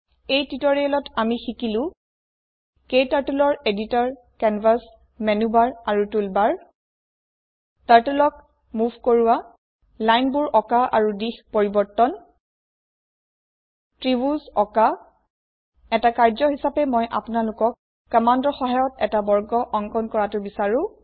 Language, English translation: Assamese, In this tutorial, we have learnt about, KTurtles editor, canvas, menubar and toolbar Move Turtle Draw lines and change directions Draw a triangle As an assignment I would like you to draw a square